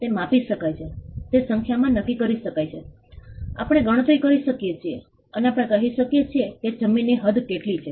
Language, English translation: Gujarati, It can be measured, it can be ascertained in numbers, we can compute, and we can say what is the extent of the land